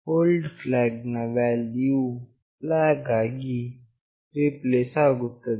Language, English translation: Kannada, The old flag value is replaced by flag